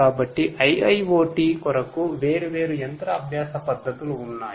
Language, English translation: Telugu, So, for IIoT there are different machine learning techniques in place